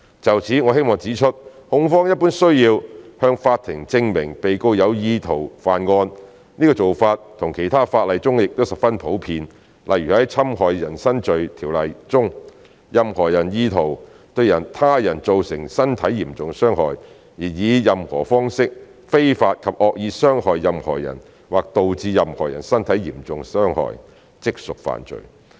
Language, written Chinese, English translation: Cantonese, 就此，我們希望指出控方一般需要向法庭證明被告有意圖犯案，這做法在其他的法例中亦十分普遍，例如在《侵害人身罪條例》中，任何人意圖對他人造成身體嚴重傷害，而以任何方式非法及惡意傷害任何人或導致任何人身體受嚴重傷害，即屬犯罪。, In this regard we would like to point out that it is generally necessary for the prosecution to prove to the court that the defendant intended to commit the offence . This is also a common practice in other legislation . For example under the Offences against the Person Ordinance it would be an offence if a person with intent to cause grievous bodily harm to another unlawfully and maliciously injures any person or causes grievous bodily harm to any person in any manner